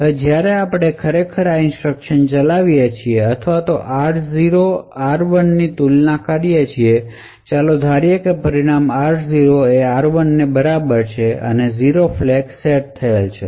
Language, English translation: Gujarati, Now when we actually execute this instruction or compare r0, r1 and let us assume that r0 is equal to r1 as a result the 0 flag is set